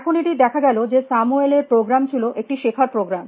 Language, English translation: Bengali, Now, I turns out that this Samuels program was a learning program